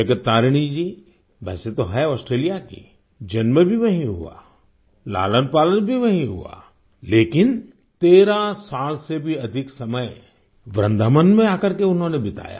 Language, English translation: Hindi, Jagat Tarini ji is actually an Australian…born and brought up there, but she came to Vrindavan and spent more than 13 years here